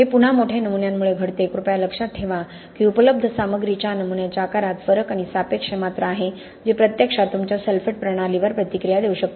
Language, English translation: Marathi, Again this happens because of large specimens please remember there is a specimen size difference and relative volume of the available material that can actually react with your sulphate system